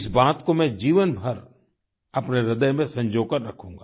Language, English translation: Hindi, I will cherish this lifelong in my heart